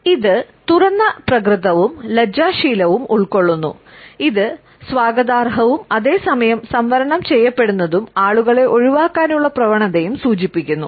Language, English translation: Malayalam, So, it has encapsulated openness as well as shyness, it suggests a sense of welcome and at the same time a sense of being reserved and a tendency to avoid people